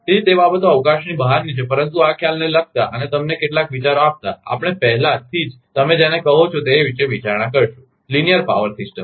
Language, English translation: Gujarati, So, those things are beyond the scope, but giving you some ideas regarding this concept, we will already consider about your what you call the linear power system